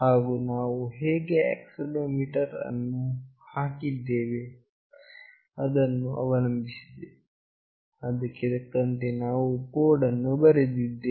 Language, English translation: Kannada, And depending on how we have put the accelerometer here, we have written the code accordingly